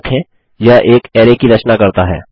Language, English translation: Hindi, Remember this creates an array